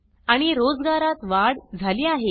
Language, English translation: Marathi, And Employment has increased